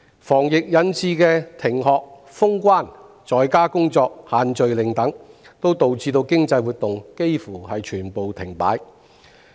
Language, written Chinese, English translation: Cantonese, 防疫引致的停學、封關、在家工作、"限聚令"等，亦導致經濟活動幾乎全部停擺。, To prevent the spread of the epidemic classes have been suspended borders closed people work from home and group gatherings are prohibited etc bringing almost all economic activities to a standstill